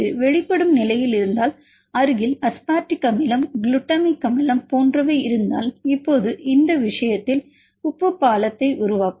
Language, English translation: Tamil, If it is locating the exposed and there is a nearby residue call say aspartic acid glutamic acid now in this case that can make salt bridge fine